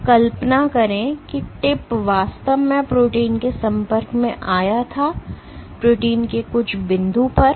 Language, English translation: Hindi, So, imagine that the tip actually came in contact with the protein; at some point of the protein